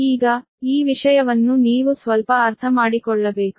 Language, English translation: Kannada, now this thing you have to understand little bit